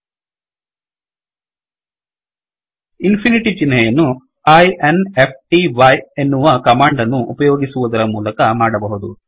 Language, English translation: Kannada, One can create infinity using the command, i n f t y , infinity